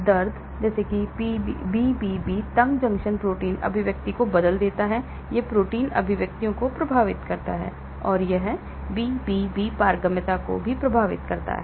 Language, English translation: Hindi, Pain; so inflammatory pain alters BBB tight junction protein expression , it affects the protein expressions and it also affects the BBB permeability